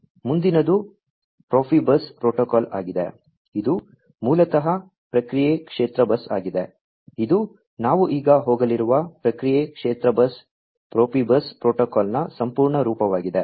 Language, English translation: Kannada, The next one is the Profibus protocol, which is basically the process field bus; this is the full form the process field bus Profibus protocol we are going to go through now